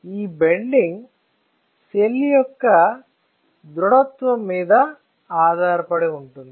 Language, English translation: Telugu, This bending depends on this stiffness of the cell, is not it